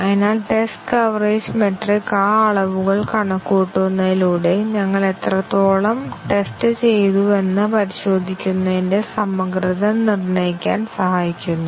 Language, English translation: Malayalam, So, it is seen test coverage metric helps us determine the thoroughness of testing how well we have tested by computing those metrics